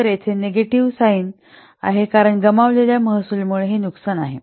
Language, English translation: Marathi, So here it is negative sign because this is loss due to the lost revenue